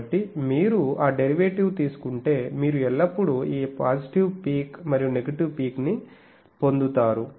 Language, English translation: Telugu, So, if you take that derivative, you will always get this positive peak and negative peak